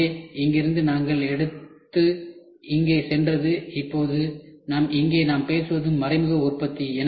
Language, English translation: Tamil, So, from here we took it went here and now we are what we are talking about is indirect manufacturing here